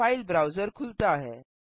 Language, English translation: Hindi, A file browser opens